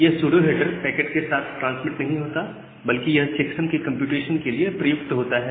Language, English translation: Hindi, So, this pseudo header is actually not transmitted with the packet, it is just used for the computation of checksum